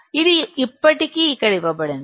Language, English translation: Telugu, This is already given here